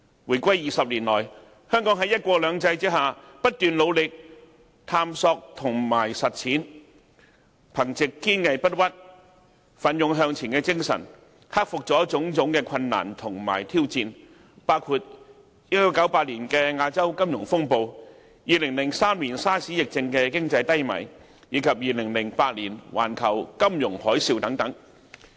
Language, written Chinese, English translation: Cantonese, 回歸20年來，香港在"一國兩制"下，不斷努力探索和實踐，憑藉堅毅不屈、奮勇向前的精神，克服了種種困難和挑戰，包括1998年亞洲金融風暴、2003年 SARS 疫症引致的經濟低迷，以及2008年環球金融海嘯等。, In the two decades since the reunification Hong Kong has under one country two systems made continuous efforts in exploration and implementation and with perseverance and enterprising spirit it has overcome numerous difficulties and challenges including the Asian financial turmoil in 1998 the economic downturn resulted from SARS epidemic in 2003 and also the global financial tsunami in 2008